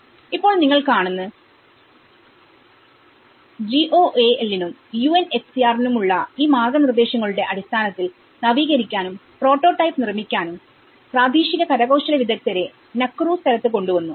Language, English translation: Malayalam, Now, what you can see is, based on these guidelines for GOAL and UNHCR brought local artisans to upgrade, to build a prototypes in this Nakuru place